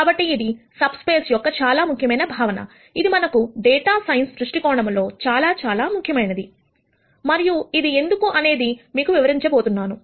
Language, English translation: Telugu, So, this is an important concept of subspace, which is very, very important for us from a data science viewpoint and I am going to explain to you why